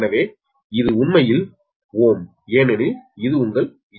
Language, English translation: Tamil, so this is actually ohm right because this is your z base old